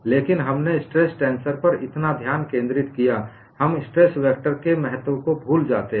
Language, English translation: Hindi, But we have focused so much on stress tensor; we forget the importance of stress vector